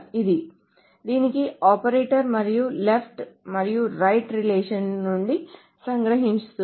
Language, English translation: Telugu, So this is the operator for this and it captures from both left and right relations